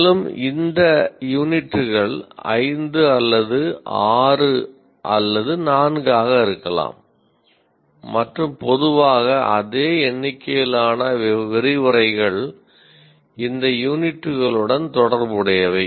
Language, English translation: Tamil, And these units could be five or six sometimes even four and generally the same number of lectures are associated with these units